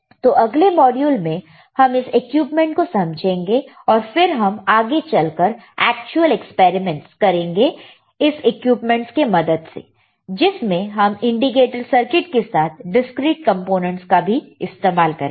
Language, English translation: Hindi, So, the next set of modules is to understand the equipment, and then we will move on to actual experiments using this equipment and using the discrete components along with your indicator circuits, all right